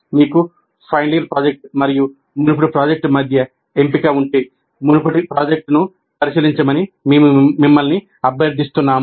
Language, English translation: Telugu, And if you have a choice between final year project and earlier project, we request you to consider earlier project